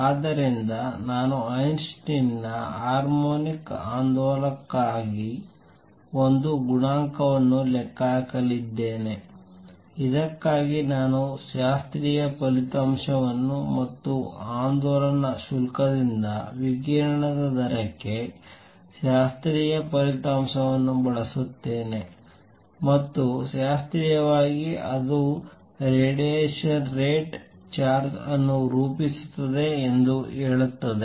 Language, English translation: Kannada, So, I am going to calculate Einstein’s A coefficient for harmonic oscillator, for this I will use a classical result and the classical result for rate of radiation from an oscillating charge and use that result and that says classically it is rate of radiation form a charge